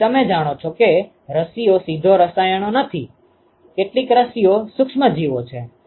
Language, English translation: Gujarati, So, you know vaccines are not direct chemicals, some vaccines are attenuated microorganisms ok